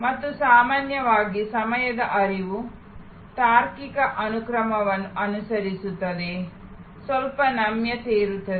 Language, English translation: Kannada, And usually the time flow follows a logical sequence, there can be some flexibility